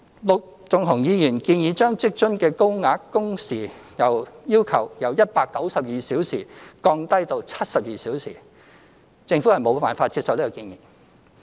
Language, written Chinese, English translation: Cantonese, 陸頌雄議員建議將職津的高額工時要求由192小時降低至72小時，政府無法接受這建議。, Mr LUK Chung - hungs proposal of lowering the working hour requirement for the Higher Allowance under the WFA Scheme from 192 hours to 72 hours is not acceptable to the Government . WFA is fundamentally designed to reward hard work